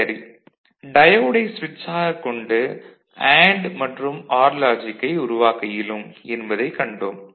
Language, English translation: Tamil, And we have seen the diode as a switch can be used to generate AND, OR logic